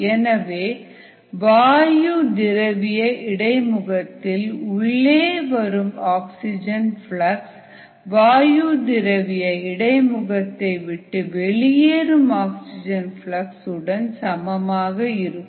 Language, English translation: Tamil, therefore, the flux of oxygen entering the gas liquid interface must equal the flux of oxygen that is leaving the gas liquid interface